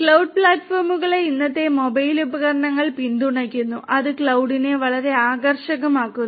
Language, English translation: Malayalam, Cloud platforms are supported by the present day mobile devices that also makes cloud very attractive